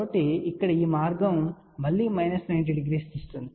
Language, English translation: Telugu, So, this path here again leads to minus 90 degree